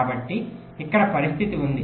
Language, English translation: Telugu, so this is the first scenario